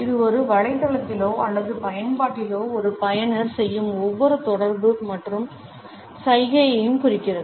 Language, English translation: Tamil, It refers to every interaction and gesture a user makes on a website or on an app